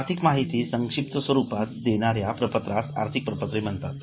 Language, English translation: Marathi, Any statement which gives you financial information in a summarized form is considered as a financial statement